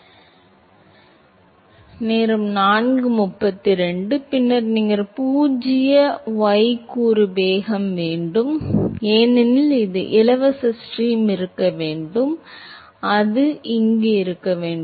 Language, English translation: Tamil, Yeah Then you will have zero y component velocity, because it has to be free stream, it has to be